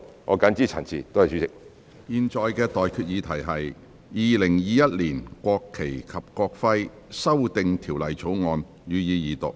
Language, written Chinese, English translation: Cantonese, 我現在向各位提出的待決議題是：《2021年國旗及國徽條例草案》，予以二讀。, I now put the question to you and that is That the National Flag and National Emblem Amendment Bill 2021 be read the Second time